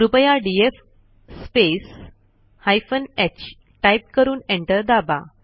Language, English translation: Marathi, Please type df space h and press Enter